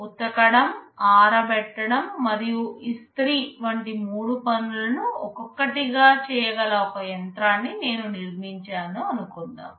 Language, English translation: Telugu, Suppose I have built a machine M that can do three things one by one, wash, dry and iron